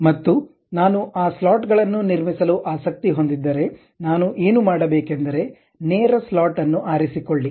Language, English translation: Kannada, And those slots if I am interested to construct it, what I have to do pick straight slot